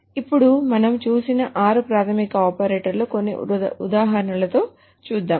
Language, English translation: Telugu, So, let us work on with some of the examples for the six basic operators that we just saw